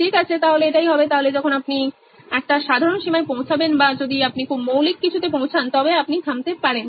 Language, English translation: Bengali, Okay, so that would be the, so when you reach a natural limit or you know reach something very fundamental you can stop